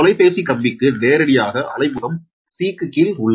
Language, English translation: Tamil, the telephone line is located directly below phase c